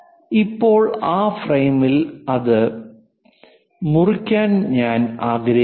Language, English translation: Malayalam, Now I want to slice it on that frame